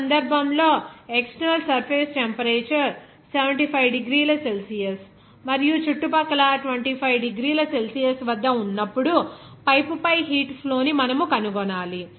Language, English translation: Telugu, In this case, you have to find out the heat flux on the pipe when the external surface temperature will be at 75 degrees Celsius and the surrounding are at 25 degrees Celsius